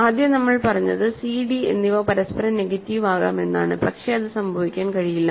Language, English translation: Malayalam, So, originally we said c and d are possibly negatives of each other, but that cannot happen